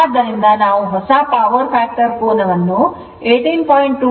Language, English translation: Kannada, So, we have got four new power factor angle is 18